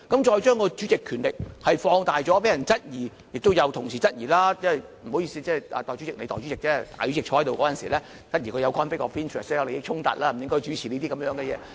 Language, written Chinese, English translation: Cantonese, 再將主席權力放大，被人質疑，亦有同事質疑——不好意思，你是代理主席——當大主席主持會議時，質疑他有利益衝突，不應主持會議。, The fact that the expansion of the Presidents power is questioned by some colleagues . I am sorry you are just the one who deputizes for the President . Members have questioned if any conflict of interest is present when the President of the Legislative Council is presiding the Council meeting